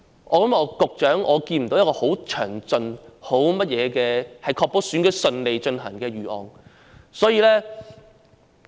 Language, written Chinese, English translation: Cantonese, 局長，我看不到局方有任何確保選舉能順利進行的詳盡預案。, What will the authorities do to ensure that the polling stations will be free from vandalism?